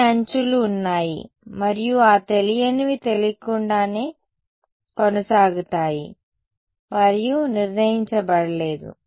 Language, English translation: Telugu, Has n edges and those unknowns continue to be unknown they are not determined